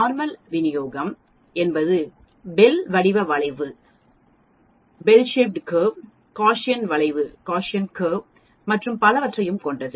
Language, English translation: Tamil, Normal Distribution is also called Bell shaped curve, Gaussian curve and so on